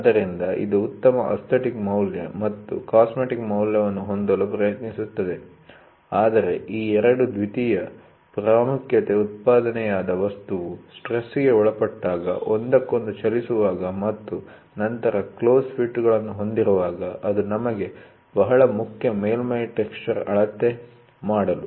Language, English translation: Kannada, So, it tries to have a better aesthetic value and cosmetic value, but these 2 are secondary importance, the primary importance is when the manufactured item subject to stress, moving with one another and then, having close fits, it is very important for us to measure the surface texture